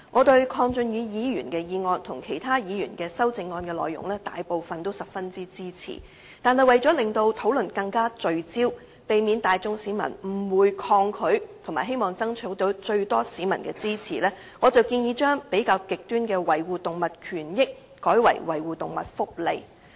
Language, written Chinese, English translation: Cantonese, 對於鄺俊宇議員的議案和其他議員的修正案內容，我大部分也十分支持，但為了令討論更聚焦，避免市民大眾誤會、抗拒，並爭取最多市民的支持，所以我建議把比較極端的"維護動物權益"改為"維護動物福利"。, With regard to the motion moved by Mr KWONG Chun - yu and the amendments proposed by other Members I support most of them . However in order to be more focused and avoid arousing public misunderstanding or resistance and to solicit the greatest public support I suggest replacing the more radical phrase safeguarding animal rights with safeguarding animal welfare